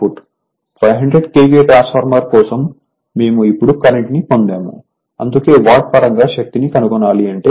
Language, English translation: Telugu, We also got the current now for 500 KVA transformer KVA watt given that is why, but if you want power in terms of watt